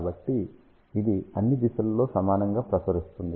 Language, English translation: Telugu, So, it will radiate equally in all the directions